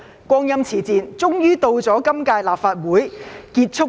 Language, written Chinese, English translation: Cantonese, 光陰似箭，終於到了今屆立法會完結的一刻。, Well time flies and now comes the moment when the final curtain for the current - term Legislative Council falls